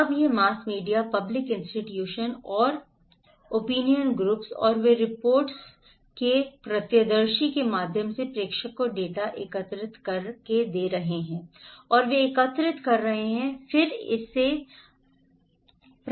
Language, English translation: Hindi, Now, this mass media public institutions and opinion groups and they are collecting data from the senders through journal articles from report, eyewitness okay and they are collecting and then they are passing it to the receivers